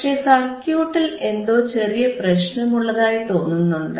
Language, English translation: Malayalam, So, what we find is, there is some problem with our circuit